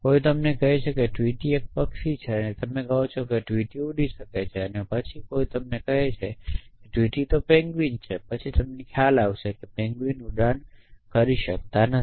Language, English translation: Gujarati, Somebody tells you tweety is a bird and you say tweety can fly and then somebody tell you the tweety is a penguin then you realize that penguins cannot fly